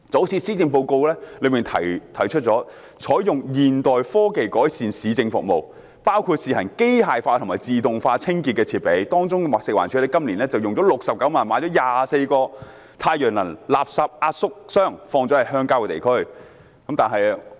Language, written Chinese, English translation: Cantonese, 施政報告提出採用現代科技改善市政服務，包括試行機械化和自動化清潔設備，當中包括食物環境衞生署今年動用69萬元，購入24個太陽能廢物壓縮箱，放置在鄉郊地區。, The Policy Address suggests applying modern technologies to improve municipal services including the introduction of machines and automation for trial use in street cleansing . One example is the 24 solar - powered compacting refuse bins purchased by the Food and Environmental Hygiene Department FEHD with 690,000 this year and they are placed in rural areas